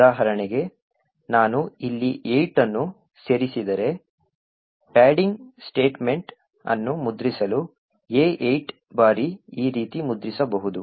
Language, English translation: Kannada, So for example if I add see 8 over here then print padding could actually print A 8 times as follows